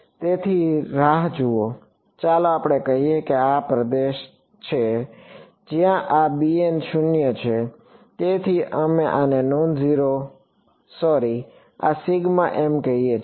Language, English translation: Gujarati, So, wait so, let us say that this is the region where this b m is 0 so, we call this non zero sorry this sigma m it